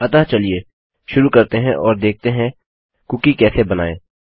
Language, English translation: Hindi, So lets begin right away and see how to create a cookie